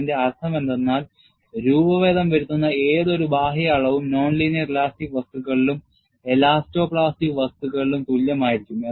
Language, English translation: Malayalam, What it means is, any external measure of deformation would be the same in non linear elastic material as well as elasto plastic material